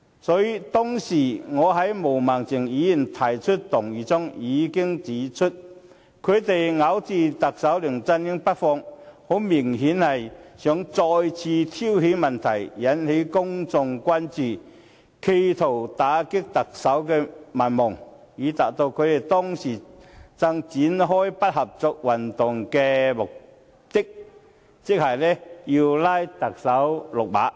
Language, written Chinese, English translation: Cantonese, 所以，當時我就毛孟靜議員提出的議案發言時已經指出，泛民咬着特首梁振英不放，很明顯是希望再次挑起問題，引起公眾關注，試圖打擊特首民望，以達致他們當時正展開的不合作運動的目的，即把特首拉下馬。, Therefore back then when I spoke on the motion moved by Ms Claudia MO I already pointed out that the pan - democrats were going after Chief Executive LEUNG Chun - ying . Obviously they wanted to stir up trouble again and attract public attention with a view to undermining the popularity of the Chief Executive thereby justifying their objective of launching the non - cooperation movement at that time that is to oust the Chief Executive